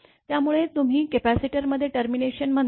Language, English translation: Marathi, So, this is your what you call the termination at capacitor